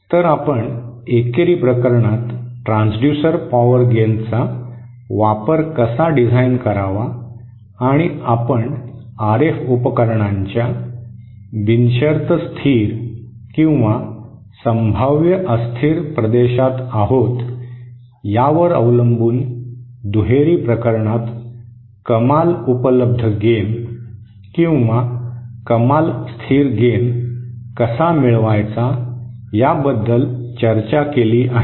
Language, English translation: Marathi, So we have discussed how to design using the transducer power gain for the unilateral case and also how to find out the maximum available gain or the maximum stable gain for the bilateral case depending on whether we are in the unconditionally stable or in the potentially unstable regions of the RF device